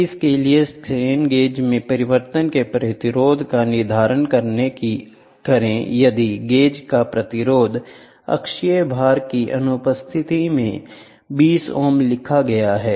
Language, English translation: Hindi, So, determine the resistance of change in the strain gauge if the resistance of the gauge was written 20 ohms in the absence of axial load